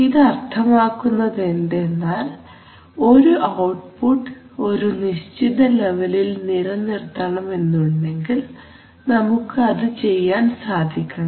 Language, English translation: Malayalam, It means that if you want to hold a particular, hold the output at a particular level we should be able to hold it